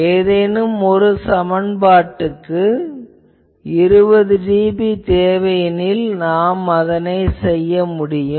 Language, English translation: Tamil, Supposing some application if I require it to be 20 dB, I cannot do